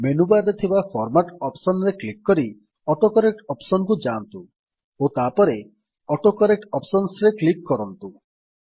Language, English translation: Odia, Now click on the Format option in the menu bar then go to the AutoCorrect option and then click on the AutoCorrect Options